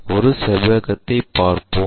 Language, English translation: Tamil, Let us look at a rectangle